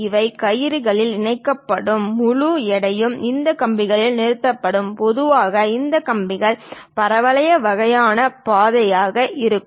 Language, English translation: Tamil, And these will be connected by ropes, entire weight will be suspended on these wires, and typically these wires will be of parabolic kind of path